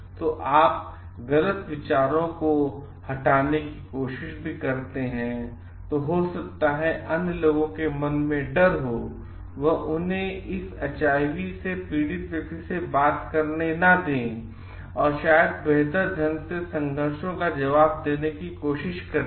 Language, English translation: Hindi, And if you also try to remove the wrong ideas, than maybe fear in the mind of the other people and make them interact with this person suffering from HIV, maybe this will better try to answer the conflict